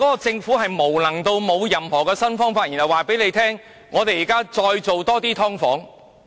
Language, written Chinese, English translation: Cantonese, 政府原來無能至此，沒有任何新方法，只是對市民說要推出更多"劏房"。, I had never thought that the Government could be so incompetent . It did not come up with any new method but only told the public that it intended to offer more subdivided units